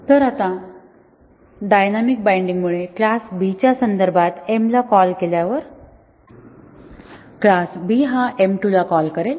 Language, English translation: Marathi, So, now when m is called in the context of class B due to a dynamic binding, the m 2 of class B will be called